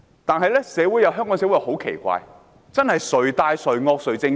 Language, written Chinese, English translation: Cantonese, 但是，香港社會很奇怪，真是"誰大誰惡誰正確"。, Nevertheless Hong Kong society was so weird in that the most powerful and viscous ones always had the say